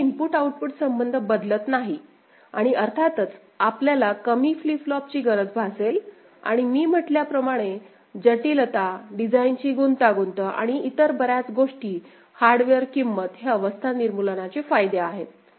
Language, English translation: Marathi, So, this input output relationship does not alter because of this and of course, you will be realising with less number of flip flops and as I said less complexity, design complexity and many other things, hardware cost and so, that is the advantage of state elimination